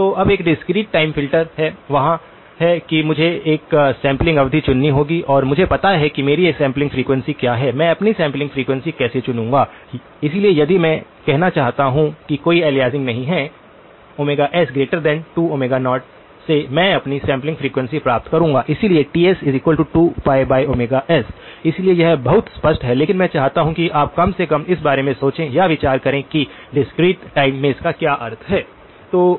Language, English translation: Hindi, So, now there is a discrete time filter, there is a I would have to choose a sampling period and I know what my sampling frequency is, how I am going to choose my sampling frequency, so if I want to say that there is no aliasing, Omega s must be greater than or equal to 2 times Omega naught from that I will get my sampling frequency, so Ts is equal to 2 pi by Omega s, so this is very clear but I want you to look or at least think about what this means in the discrete time